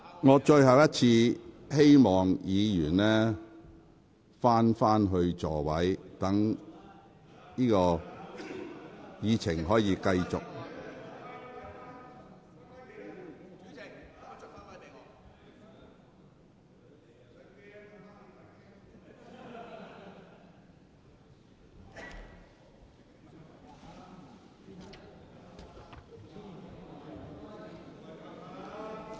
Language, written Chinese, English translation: Cantonese, 我最後一次請議員返回座位，讓本會繼續進行會議。, For the last time I call on Members to return to their seats so that the Council can continue the meeting